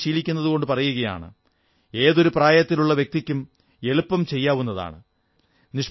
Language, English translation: Malayalam, I am saying this because a person of any age can easily practise it